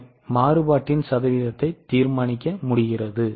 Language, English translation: Tamil, Percentage of variability has been given